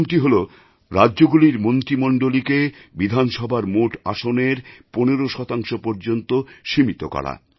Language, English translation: Bengali, First one is that the size of the cabinet in states was restricted to 15% of the total seats in the state Assembly